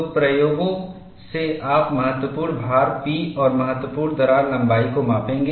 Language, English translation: Hindi, So, from the experiment, you will measure the critical load P and the critical crack length